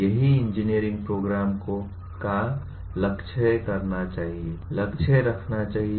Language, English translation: Hindi, That is what any engineering program should aim at, has been aiming at